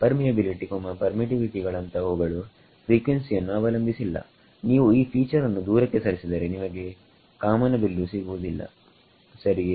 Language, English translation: Kannada, The permeability permittivity rather that does not depend on frequency if you take this feature away you cannot have a rainbow right